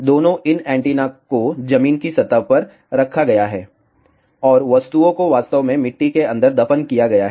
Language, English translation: Hindi, Both, these antennas are placed on the ground surface and the objects are actually buried inside the soil